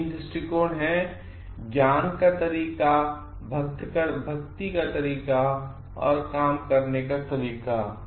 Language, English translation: Hindi, The way of knowledge, the way of devotion and the way of works